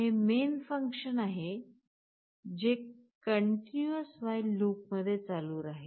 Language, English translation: Marathi, This is our main function that runs in a continuous while loop